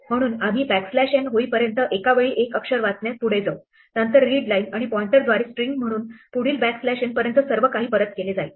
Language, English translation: Marathi, So, we will move forward reading one character at a time until we have backslash n, then everything up to the backslash n will be returned as the effect to a string return by the readline and pointer move to the next character